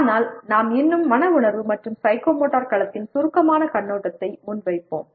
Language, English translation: Tamil, But we will still present a brief overview of both affective and psychomotor domain